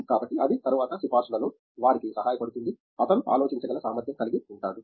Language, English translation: Telugu, So, that helps them in recommendation later also, he is capable of thinking